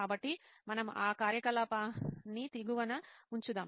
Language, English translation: Telugu, So let us keep that activity just underneath